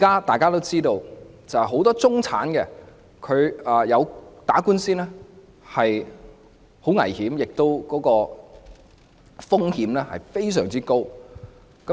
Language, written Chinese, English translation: Cantonese, 大家都知道，很多中產人士打官司，須承擔的風險非常高。, As we all know many middle - class people have to bear very high risks in instituting legal proceedings